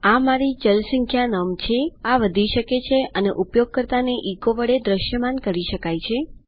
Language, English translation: Gujarati, This is my number variable, this can increment and can be echoed out to the user